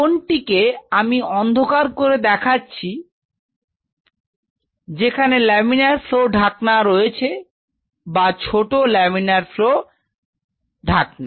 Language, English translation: Bengali, Somewhere in this corner, where I am shading now you could have a laminar flow hood or small laminar flow hood